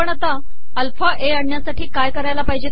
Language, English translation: Marathi, How do we generate alpha a